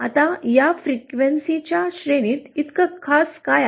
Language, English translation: Marathi, Now what is so special about this range of frequencies